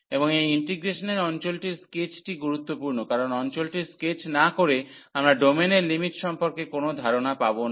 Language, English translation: Bengali, And the sketch of region of this integration is important, because without sketching the region we cannot get the idea of the limits of the domain